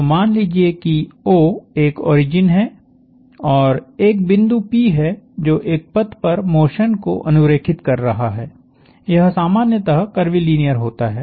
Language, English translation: Hindi, So, if I, let say have an origin and a point P that is tracing motion on a path; it is kind of generally curvilinear